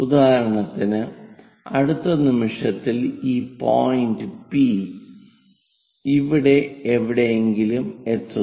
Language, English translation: Malayalam, For example, this P point, next instant of time reaches to somewhere there